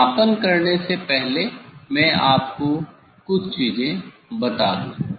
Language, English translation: Hindi, before doing measurement, let me tell you; let me tell you few things